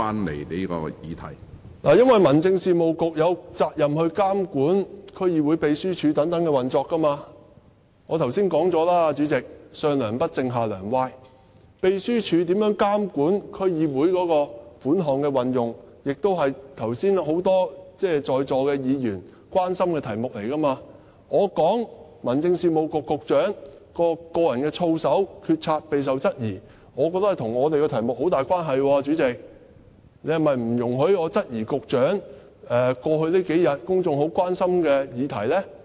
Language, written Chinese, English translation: Cantonese, 這是因為民政事務局有責任監管區議會秘書處等的運作，主席，我剛才已經說過，"上樑不正，下樑歪"，秘書處如何監管區議會款項的運用，也是剛才很多在座議員關心的題目，我說民政事務局局長的個人操守、決策備受質疑，我覺得這跟我們的題目很有關係，主席，你是否不容許我質疑一個與局長有關和在過去數天令公眾十分關心的議題呢？, Just now many Members present also expressed concern about how the DC Secretariats monitor the use of DC funds . In my opinion my remarks about the personal integrity of and decisions made by the Secretary for Home Affairs being called into question are closely related to our question . President are you disallowing me to cast doubts on an issue of great concern to the public over the past couple of days which also bears relevance to the Secretary?